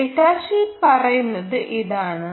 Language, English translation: Malayalam, again, this is what the data sheet says